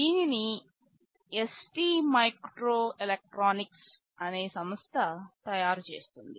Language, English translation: Telugu, This is manufactured by a company called ST microelectronics